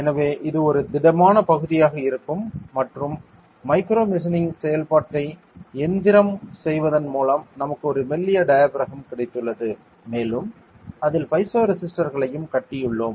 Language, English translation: Tamil, So, this will be a solid region and by machining micromachining operation we have got a thin diaphragm and we have also build piezo resistors on it ok